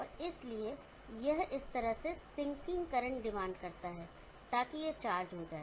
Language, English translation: Hindi, And therefore, it demands a sinking current like this, so that it gets charged up